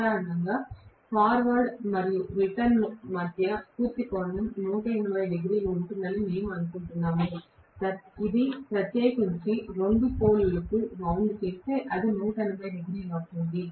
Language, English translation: Telugu, Normally we assume that between the forward and the returned the complete angle is about 180 degrees, especially if it is wound for two poles it is going to be 180 degrees